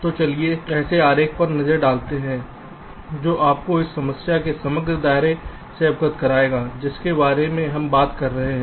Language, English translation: Hindi, ok, so let's look at a diagram which will, ah, just apprise you about the overall scope of the problem that we are talking about